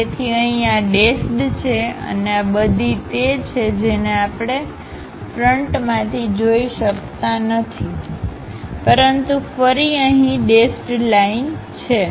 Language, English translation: Gujarati, So, we have the dashed one and this entire thing we can not really see it from front; but again here we have dashed line